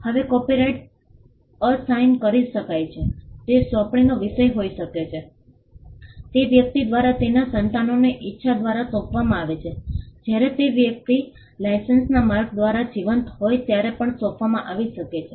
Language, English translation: Gujarati, Now, copyrights can be assigned it can be a subject matter of assignment, it can be assigned through the will from a person to his offspring’s it can also be assigned while the person is alive by way of licences